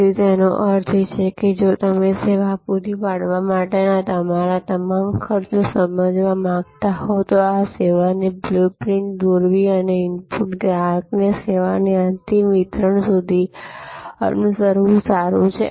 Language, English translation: Gujarati, So, which means that, if you want to understand all your costs in providing a service, it is good to draw the service blue print and follow from the input to the final delivery of service to the consumer